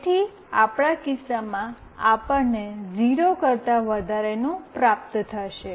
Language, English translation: Gujarati, So, in that case, it will always return a value greater than 0